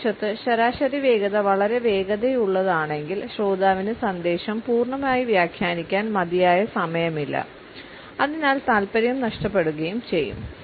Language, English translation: Malayalam, On the other hand, if the average speed is too fast the listener does not have enough time to interpret fully the message and therefore, would also end up losing interest